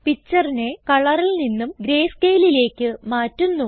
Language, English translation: Malayalam, Now let us change the picture from color to greyscale